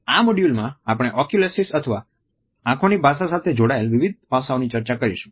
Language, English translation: Gujarati, In this module, we will discuss Oculesics or different aspects related with the language of eyes